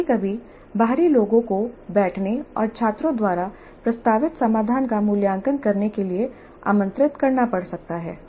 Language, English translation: Hindi, Sometimes external may have to be invited to sit in and evaluate the solution proposed by the students